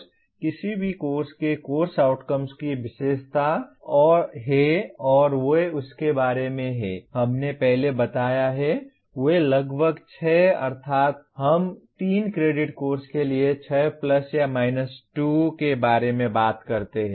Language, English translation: Hindi, A course, any course is characterized by its course outcomes and they are about, we have explained earlier, they are about 6 that means we talk about 6 plus or minus 2 for a 3 credit course